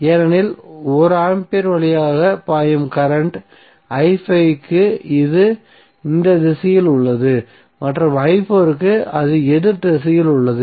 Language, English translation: Tamil, So why minus of i4 because current flowing through 1 Ohm is for i5 it is in this direction and i4 it is in opposite direction